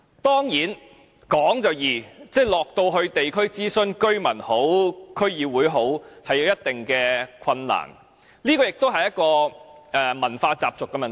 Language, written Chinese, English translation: Cantonese, 當然，說就容易，到地區諮詢，無論是居民或區議會，也有一定困難，這亦涉及文化習俗的問題。, Certainly it is easier said than done . During consultation with the residents or the District Councils difficulties will certainly be encountered . This relates to customs and traditions